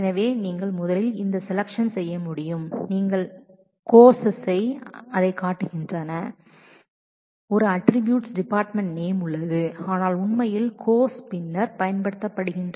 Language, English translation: Tamil, So, you should be able to first do this selection, mind you here courses also show that there is an attribute department name, but actually the courses is being used after projection